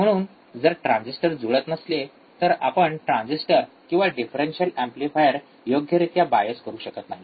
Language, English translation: Marathi, So, if the transistors are not matching it does not match then we cannot bias the transistors or differential amplifier correctly